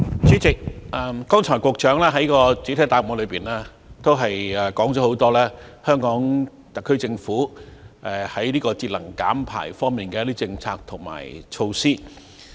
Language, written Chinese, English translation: Cantonese, 主席，局長剛才在主體答覆中，提及很多香港特區政府在節能減排方面的一些政策及措施。, President the Secretary has mentioned in his main reply the many policies and initiatives put forward by the HKSAR Government in terms of energy saving and emission reduction